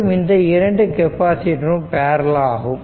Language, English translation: Tamil, So, all of these capacitors are in series